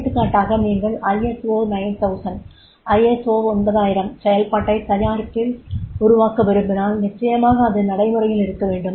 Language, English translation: Tamil, For example ISO 9000 if you want to develop the product in through the ISO 9000 process then definitely that has to be the procedural has to be there